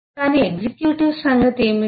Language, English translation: Telugu, but what about executive